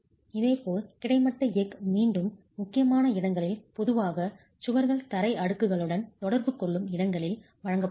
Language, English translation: Tamil, Similarly, horizontal steel has to be provided in again critical locations typically where the wall interacts with the floor slaps